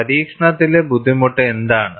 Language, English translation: Malayalam, What is the difficulty in the experimentation